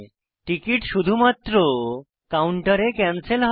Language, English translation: Bengali, The cancellation can be done at ticket counters only